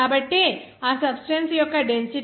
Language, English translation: Telugu, So the only density of that substance would be 0